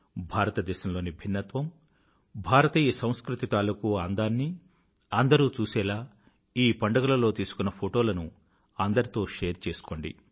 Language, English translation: Telugu, Doo share the photographs taken on these festivals with one another so that everyone can witness the diversity of India and the beauty of Indian culture